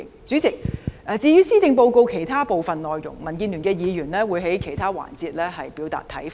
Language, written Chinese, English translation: Cantonese, 主席，至於施政報告其他部分內容，民建聯的議員會在其他環節表達看法。, President the DAB Members will express their views on other parts of the Policy Address in other sessions